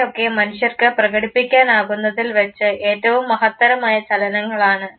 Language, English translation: Malayalam, These are some of the finest movements, that human beings are capable of performing